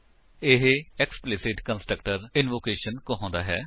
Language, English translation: Punjabi, This is called explicit constructor invocation